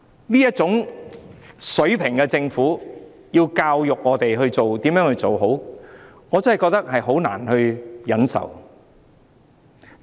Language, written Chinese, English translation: Cantonese, 由這種水平的政府教導我們如何行事，我真的覺得難以忍受。, I really find it unbearable for a government of such a low level to teach us how to act